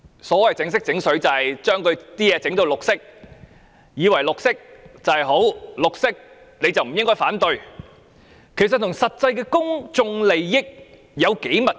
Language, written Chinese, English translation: Cantonese, 所謂"整色整水"即是把東西"染綠"，以為綠色便是好，是綠色的便不應反對，其實與實際公眾利益的關係有多密切？, By window dressing it means greenwashing thinking that the green colour will do . If it is green no one should oppose it . Yet how closely related is it to actual public interests?